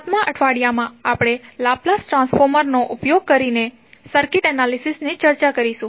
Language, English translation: Gujarati, 7th week we will devote on circuit analysis using Laplace transform